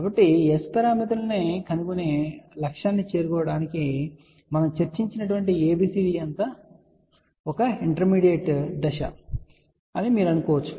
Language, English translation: Telugu, So, you can say that all that ABCD we discuss about that was an intermediate step to reach the final goal of finding S parameters